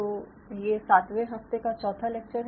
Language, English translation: Hindi, so this is our lecture three, and this is week seven